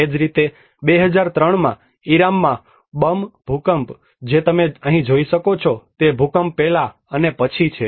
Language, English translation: Gujarati, Similarly in 2003, Bam earthquake in Iran what you can see here is, before and after the earthquake